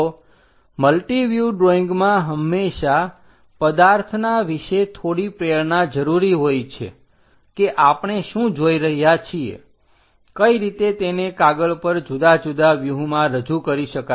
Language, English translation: Gujarati, So, multi view drawings always requires slight inclusion about the object what we are looking, how to represent that into different views on the sheet